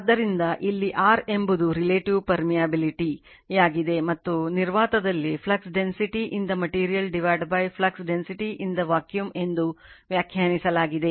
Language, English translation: Kannada, So, mu where mu r is the relative permeability and is defined as mu r is equal to flux density in the material divided by flux density in a vacuum right